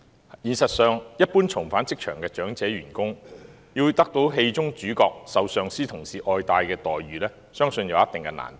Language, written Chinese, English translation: Cantonese, 在現實中，一般重返職場的長者員工要得到戲中主角受上司及同事愛戴的待遇，相信有一定難度。, In reality I believe there will be some difficulty if ordinary elderly workers rejoining the job market want to win the recognition of their superiors and colleagues like the protagonist in the film